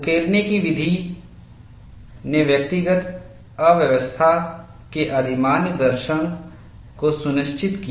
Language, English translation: Hindi, The method of etching ensured preferential attack of individual dislocation